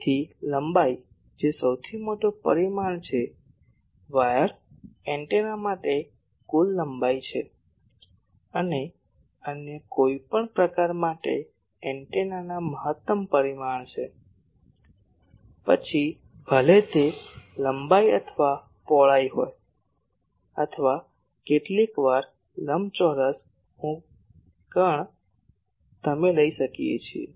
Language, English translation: Gujarati, So, the length which is the largest dimension, for wire antennas this is the total length, for other any other type the maximum dimension of the antenna; whether it is length or breadth or sometimes maybe the rectangle I the diagonal you can take